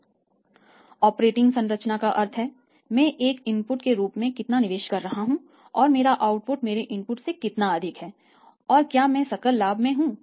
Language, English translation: Hindi, How the operating structure means how much I am investing as a input my output is so much more than my Input and I am Into the gross profit